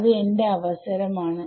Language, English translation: Malayalam, It is my choice